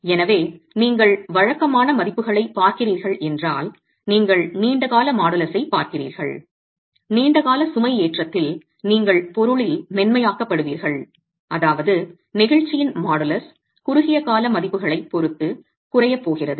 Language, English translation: Tamil, So, if you were to look at typical values, you're looking at the long term modulus, you get softening in the material over long term loading which means the modulus of elasticity is going to be is going to drop with respect to the short term value